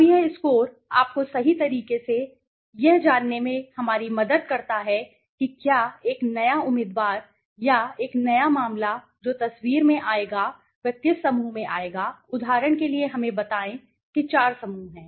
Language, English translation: Hindi, Now, that score helps us to you know correctly say okay whether a new candidate or a new case that will come into the picture will fall into which group for example let us say there are 4 groups right